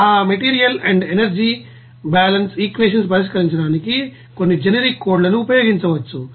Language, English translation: Telugu, Some generic codes can be used to solve that material and energy balance equation